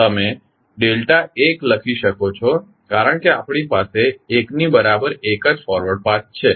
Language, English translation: Gujarati, You can write delta 1 because we have only one forward path equal to 1